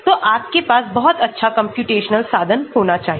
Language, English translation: Hindi, so you need to have very good computational resource